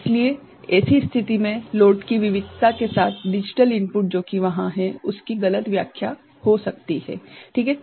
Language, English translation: Hindi, So, in such situation with variation of the load the there could be misinterpretation of the digital input that is there ok